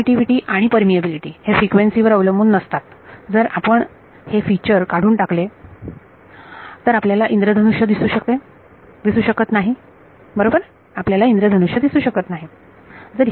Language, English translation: Marathi, The permeability permittivity rather that does not depend on frequency if you take this feature away you cannot have a rainbow right